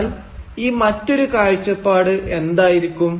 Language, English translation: Malayalam, So what can this other perspective be